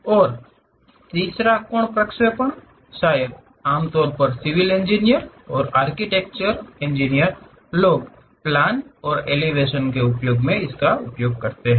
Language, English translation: Hindi, And also third angle projection, perhaps typically civil engineers and architecture guys use plan and elevation kind of techniques, these are views